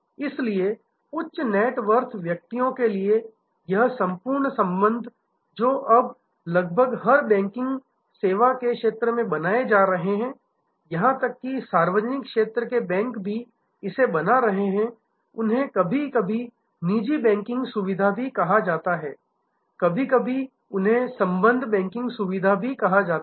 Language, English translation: Hindi, So, this whole relationship banking for high net worth individuals which are now being created almost in a every banking, even public sector banks are creating this they are sometimes called private banking facility, sometimes they are called relationship banking facility etc